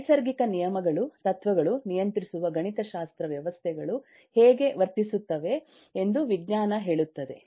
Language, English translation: Kannada, the science tells us the natural laws, principles, mathematics that govern how systems will behave